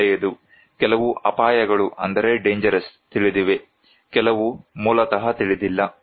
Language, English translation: Kannada, Well, some dangers are known, some are unknown basically